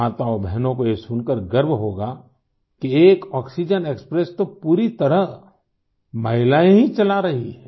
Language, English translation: Hindi, Mothers and sisters would be proud to hear that one oxygen express is being run fully by women